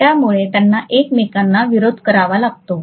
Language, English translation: Marathi, So they have to oppose each other